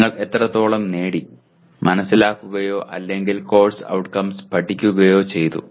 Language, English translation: Malayalam, To what extent you have gained, you have understood or you have learnt the course outcomes